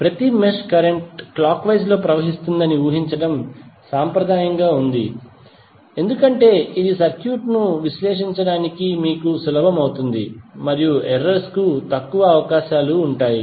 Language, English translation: Telugu, But it is conventional to assume that each mesh current flows clockwise because this will be easier for you to analyse the circuit and there would be less chances of errors